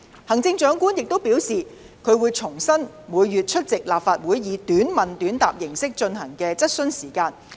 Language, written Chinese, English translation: Cantonese, 行政長官亦表示，她會恢復每月出席立法會以短問短答形式進行的質詢時間。, The Chief Executive has also indicated her wish to resume the practice of attending Chief Executives Question Time on a monthly basis to answer Members questions in a short question short answer format